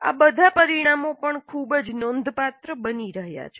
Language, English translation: Gujarati, Now all these outcomes also are becoming very significant